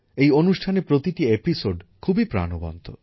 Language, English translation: Bengali, Every episode of this program is full of life